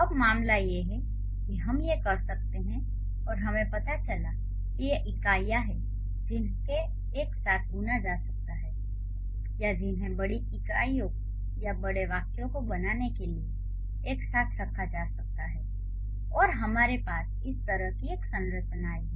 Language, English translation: Hindi, So, now the concern is we, and since we found out these are the units which can be woven together or which can be put together to create bigger units or bigger sentences, we have a structure like this